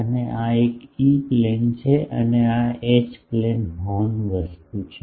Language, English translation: Gujarati, And, what they no this is the E plane and this is the H plane horn thing